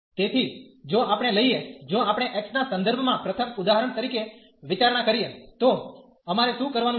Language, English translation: Gujarati, So, if we take if we consider for example first with respect to x, so what we have to do